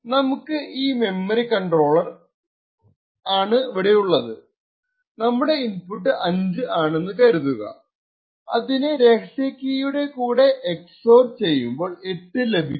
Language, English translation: Malayalam, So, for example if we have this memory controller what we could possibly do is if your input is 5 you EX OR it with a certain specific key and obtain a value of 8